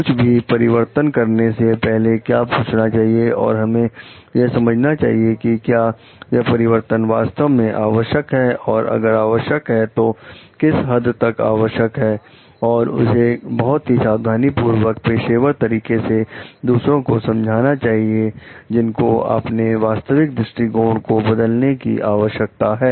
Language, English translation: Hindi, So, what like before asking someone to change, so we should understand whether the change is truly required, and if required to what extent, and that needs to be explained very very carefully in a professional way to the others, who are required to change their original standpoint